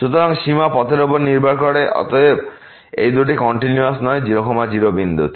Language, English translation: Bengali, So, the limit depends on the path and hence these two are not continuous at 0 0